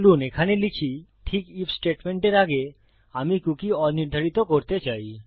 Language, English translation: Bengali, So lets say over here just before our if statement, I wish to unset my cookie